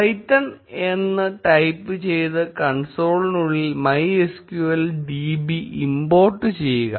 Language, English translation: Malayalam, Type python and inside the console, import MySQL db